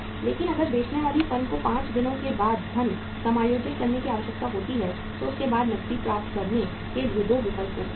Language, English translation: Hindi, But if the selling firm needs the funds adjust after 5 days they can they have 2 options to get the cash